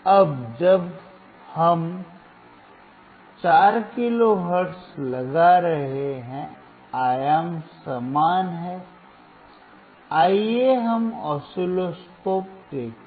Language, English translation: Hindi, Now we are applying 4 kilo hertz, amplitude is same, let us see the oscilloscope